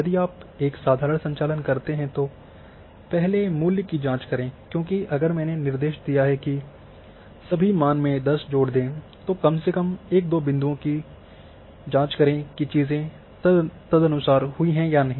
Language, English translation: Hindi, So, once you do a simple operation first check the value because if I have instructed that add 10 to everything then check at least one or two points whether things have been done accordingly or not